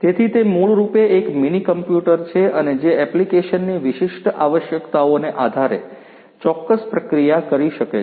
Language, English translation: Gujarati, So, it is basically a mini computer and which can do certain processing, you know depending on the application specific requirements